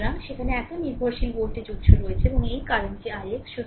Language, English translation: Bengali, So, there is so dependent voltage source is there, and this current is i x